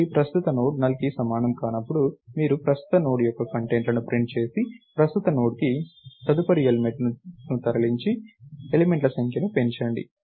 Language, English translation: Telugu, So, while current Node is not equal to null, you print the contents of the current node, move the current Node to the next element and increment the number of elements